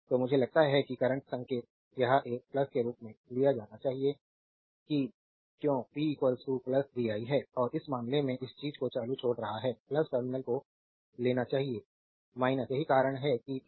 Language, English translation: Hindi, So, sign i that current your sign it should be taken as a plus that is why p is equal to plus vi and in this case current this thing current is leaving the plus terminal we should take minus that is why p is equal to minus vi right